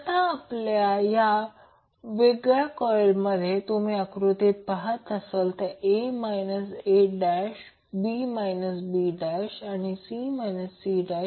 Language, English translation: Marathi, Now, these separate winding or coils which you see as a a dash, b b dash, c c dash in the figure